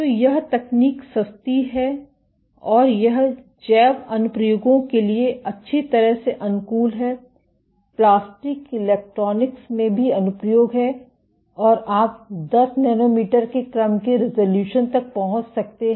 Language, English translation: Hindi, So, this technique is cheap and it is well suited for bio applications, also is applications in plastic electronics and you can reach resolution up to order 10 nanometers ok